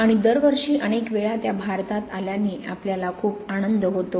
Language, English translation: Marathi, And we are very happy to have her in India many, many times every year